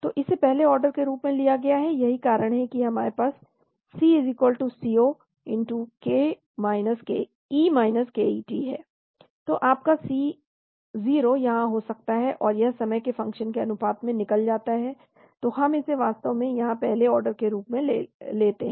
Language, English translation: Hindi, So this is taken as first order that is why we have C=C0 e ket, so your C0 could be here, and this gets eliminated as a function of time, so we take it as a first order here actually